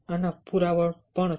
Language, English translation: Gujarati, there is evidence for this